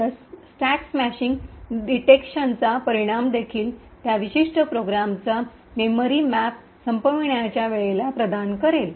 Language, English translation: Marathi, So, the result of the stack smashing detection would also, provide the memory map of that particular program at the point of termination